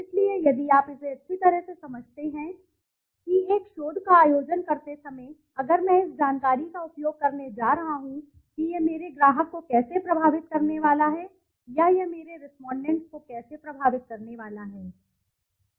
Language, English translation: Hindi, So, if you consider it thoroughly that while conducting a research if I am going to use this information how is it going to affect my client, or how is it going to affect my respondent